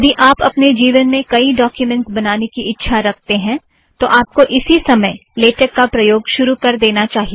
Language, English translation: Hindi, If you are going to create many documents in the rest of your life, it is time you started using Latex